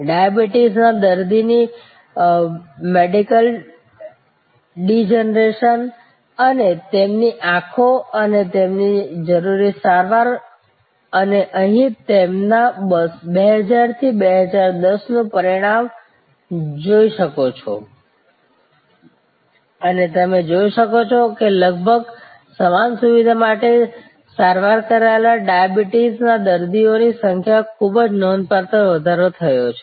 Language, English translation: Gujarati, The macular degeneration of diabetic patients and their eyes and the treatments they need and you can see here the result of their 2000 to 2010 and you can see the number of diabetics treated with almost the same facility have gone up very, very significantly using the service design principles